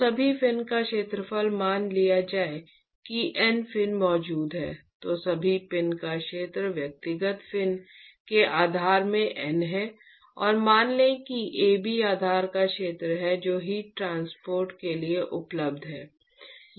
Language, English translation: Hindi, So, area of all the fins will be supposing there are N fins which are present then area of all the fins is N into area of individual fin plus the let us say Ab is the area of the base which is available for heat transport